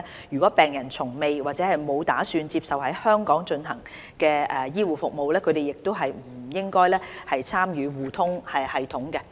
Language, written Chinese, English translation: Cantonese, 如果病人從未或沒有打算接受在香港進行的醫護服務，他們亦不應參與互通系統。, If a patient has never received or has no plans to receive health care performed in Hong Kong heshe also should not join eHRSS